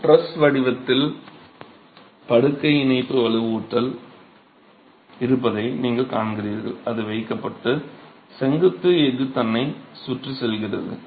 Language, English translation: Tamil, As you see in this picture here, you see that there is bed joint reinforcement in the form of a truss that is placed and that goes around the vertical steel itself